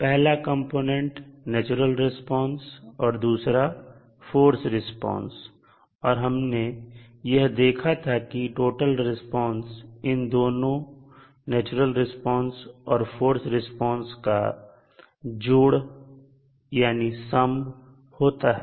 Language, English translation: Hindi, 1 is natural response and another is forced response and we saw that the total response is the sum of force response as well as natural response